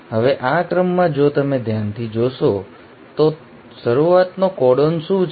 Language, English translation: Gujarati, Now, in this sequence if you see carefully, what is the start codon